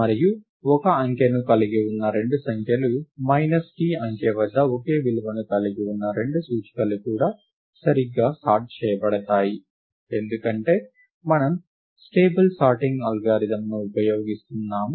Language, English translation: Telugu, And two numbers, which have the same digit – two indices, which have the same value at digit t are also correctly sorted, because we are using a stable sorting algorithm